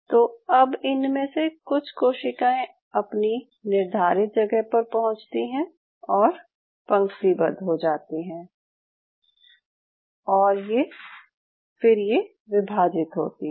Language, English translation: Hindi, So what they do was these cells reach their specific spot, they align themselves and they divide